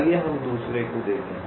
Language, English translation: Hindi, lets look at the other one